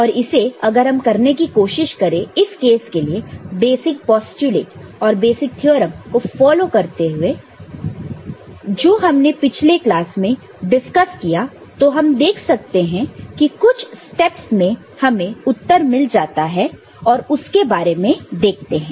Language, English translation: Hindi, And if you try to do that, in this case, by following the postulates basic the postulates and basic theorems that we have discussed before in the last class, then we can see just few steps, let us have a look